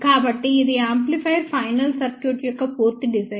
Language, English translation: Telugu, So, this is the complete design of an amplifier final circuit